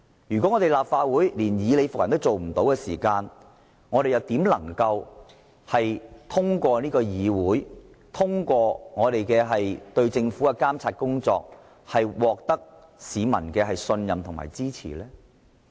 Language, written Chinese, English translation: Cantonese, 如果立法會連以理服人也做不到，試問怎能夠通過監察政府獲得市民的信任和支持？, If the Legislative Council cannot convince people by reasoning how can it win the trust and support of people through monitoring the work of the Government?